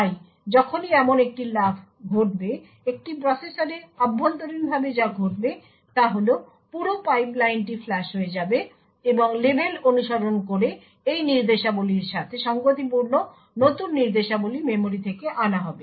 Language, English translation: Bengali, So, whenever there is a jump like this what would happen internally in a processor is that the entire pipeline would get flushed and new instructions corresponding to these instructions following the label would get fetched from the memory